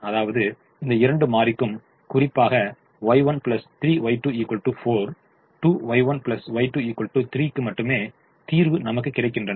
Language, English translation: Tamil, i just solve only for these two: y one plus three, y two equal to four, two, y one plus y two equal to three